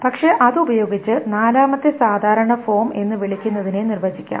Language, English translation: Malayalam, But using that, let us define what is called the fourth normal form